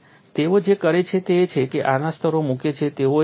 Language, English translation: Gujarati, And what they do is they put layers of this